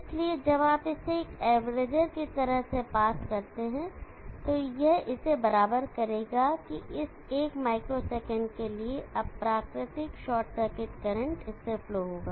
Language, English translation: Hindi, So when you pass it through as averager it will average out that for that one micro second the unnatural short circuit current that will flow through this